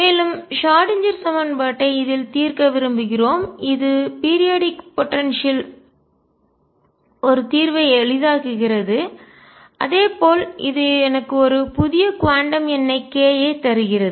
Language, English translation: Tamil, And we want to solve the Schrödinger equation in this the periodicity of the potential makes a solution simple as well as it gives me a new quantum number k